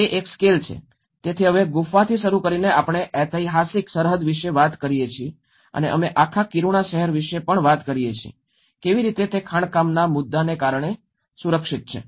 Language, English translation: Gujarati, It is a scale of, so now starting from a cave we talk about a historic precinct and we talk about even a whole city of Kiruna, how it has been protected because of the mining issue